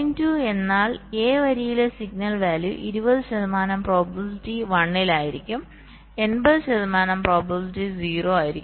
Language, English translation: Malayalam, so point two means the signal value at line a will be one with twenty percent probability will be zero with eighty percent probability, right